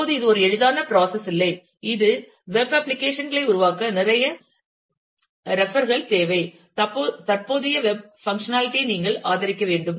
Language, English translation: Tamil, Now, it is not a easy process that is a lot of refer require to develop web applications, you need to support the functionality that of current day web